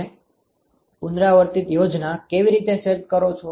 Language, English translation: Gujarati, How do you set up an iterative scheme